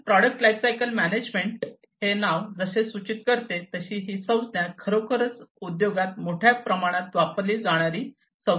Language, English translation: Marathi, So, product lifecycle management as this name suggests, this term suggests it is actually a widely used terminologies in the industry